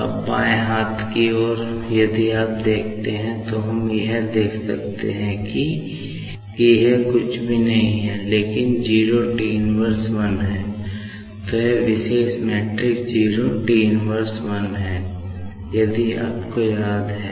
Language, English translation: Hindi, Now, left hand side, if you see, so what we will can see this is nothing but your 01T −1